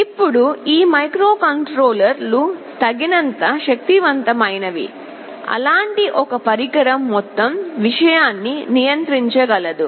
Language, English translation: Telugu, Now these microcontrollers are powerful enough, such that a single such device will be able to control the entire thing